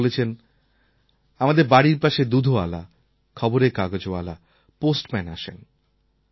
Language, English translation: Bengali, She says milkmen, newspaper vendors, postmen come close to our homes